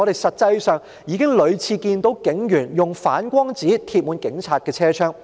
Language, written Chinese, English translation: Cantonese, 實際上，我們已屢次看到警隊巴士的車窗滿貼反光紙。, But if police buses were used in fact we have repeatedly seen the windows of police buses fully covered with reflective sheets